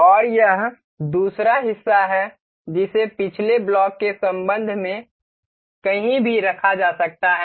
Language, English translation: Hindi, And this is the second part that can be placed anywhere in relation to the previous block